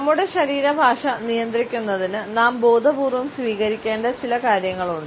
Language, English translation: Malayalam, In order to control our body language, there are certain steps which we should consciously take